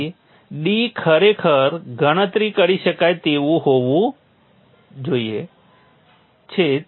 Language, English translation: Gujarati, So d is actually calculatable